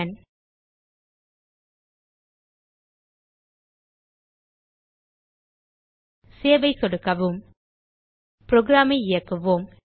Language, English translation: Tamil, Now Click on Save Let us execute the program